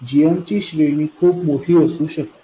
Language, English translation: Marathi, The range of GMs may be quite large